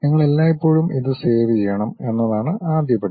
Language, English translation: Malayalam, The first step is you always have to save it